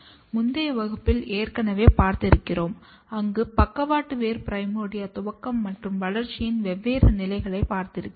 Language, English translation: Tamil, You have already seen in some in one of the previous class, where we have studied different stages of lateral root primordia initiation and development